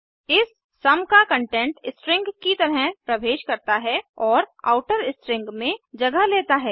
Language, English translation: Hindi, Here the content of sum is returned as a string and is substituted into the outer string